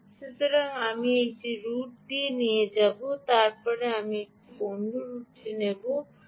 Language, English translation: Bengali, this is route a, then i will take another route, route b